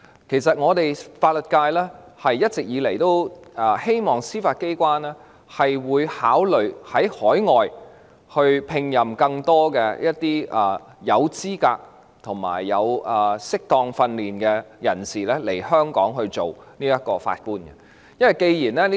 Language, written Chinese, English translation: Cantonese, 其實，法律界一直以來都希望司法機關考慮從海外聘請更多具備資格及曾接受適當訓練的人士來港擔任法官。, In fact it has been a long - standing wish of the legal profession that the Judiciary would consider recruiting more qualified and properly trained candidates from overseas to serve as Judges in Hong Kong